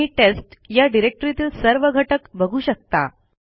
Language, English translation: Marathi, You can see the contents of the test directory